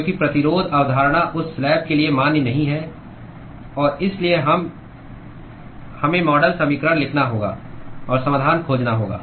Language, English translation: Hindi, Because the resistance concept is not valid for that slab and therefore, we have to write the model equation and find the solution